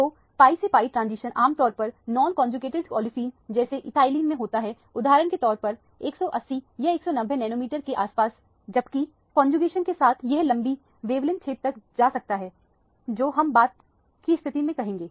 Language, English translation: Hindi, So, the pi to pi star transition typically occurs in a non conjugated olefins like ethylene for example, somewhere around 180 or 190 nanometers, whereas with conjugation this can get to longer wavelength region which we will say at a later stage